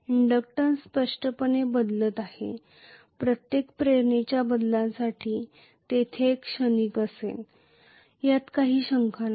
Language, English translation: Marathi, The inductance is changing clearly for every change in inductance there will be a transient, no doubt